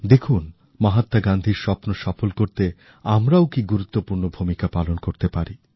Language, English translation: Bengali, And witness for ourselves, how we can play an important role in making Mahatma Gandhi's dream come alive